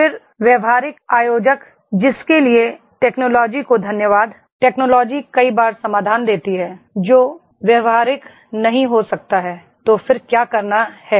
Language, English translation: Hindi, Then practical organiser, thanks to the technology, technology many a times give the solutions which may not be practical, so then what to do